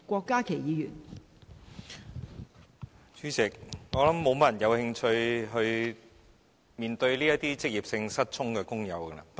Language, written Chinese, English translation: Cantonese, 代理主席，我想沒有太多人有興趣面對職業性失聰的工友。, Deputy President I do not think many people are interested in workers who suffer from occupational deafness